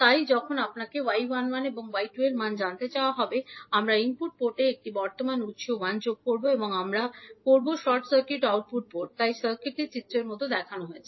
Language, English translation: Bengali, We will determine the value of y 11 and y 21 so when you are asked to find the value of y 11 and y 21 we will connect one current source I 1 in the input port and we will short circuit the output port so the circuit will be as shown in the figure